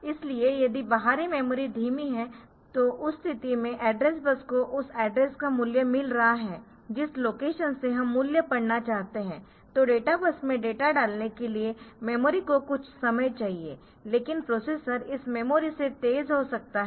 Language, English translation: Hindi, So, if the outside memory is slow the outside memory is slow in that case the once the address bus has been in copy has been getting the value of the address from where location from which location we want to read the value, then the it will the memory needs some time for getting that data on the for putting the data on to the data bus, but the processor may be faster than this memory